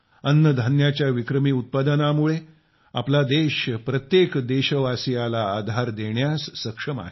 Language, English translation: Marathi, Due to the record food grain production, our country has been able to provide support to every countryman